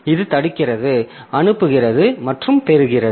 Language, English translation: Tamil, So, this is blocking send and receive